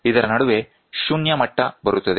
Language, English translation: Kannada, And in between this comes a 0 level